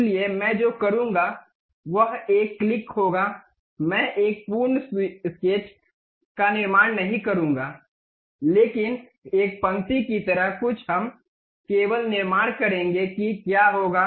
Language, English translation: Hindi, So, what I will do is click one, I would not construct a complete sketch, but something like a lines only we will construct see what will happen